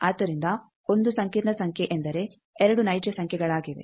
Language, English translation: Kannada, So, one complex number means 2 real numbers